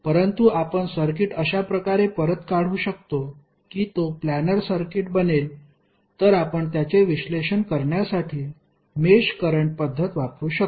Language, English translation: Marathi, But if you can redraw the circuit in such a way that it can become a planar circuit then you can use the mesh current method to analyse it